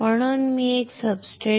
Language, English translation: Marathi, So, you need a substrate